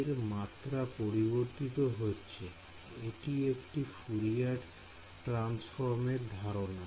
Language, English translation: Bengali, Amplitude is varying that I am; it is like a like a Fourier transform idea